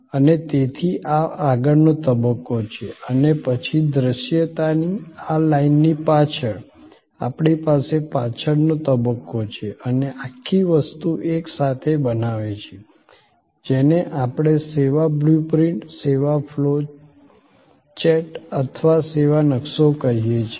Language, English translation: Gujarati, And therefore, this is the front stage and then, behind this line of visibility, we have the back stage and the whole thing together is creates the, what we call the service blue print, the service flow chat or the service map